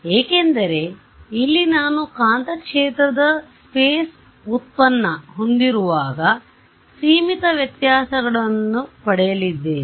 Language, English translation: Kannada, Because here when I have a space derivative of magnetic field, I am going to get the finite differences right